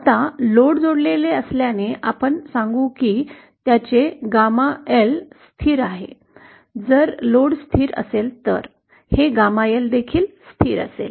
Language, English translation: Marathi, Now since the load is connected, we will say that his Gamma L is constant, if the load is constant, this Gamma L will also be constant